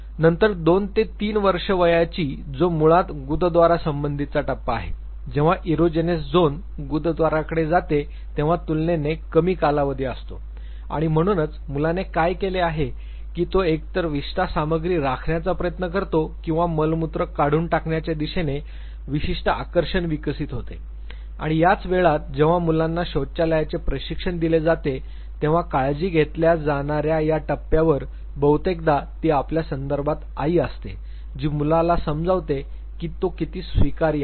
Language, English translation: Marathi, Then two to three years of age which is basically the anal stage which is relatively shorter duration when the erogenous zone shifts to the anus and therefore, the child what it does is that either it tries to know retain the feces material or it has now it develops certain degree o fascination towards expulsion of the excreta and this is also this stage when toilet training is given to the child and it is the permissiveness the acceptance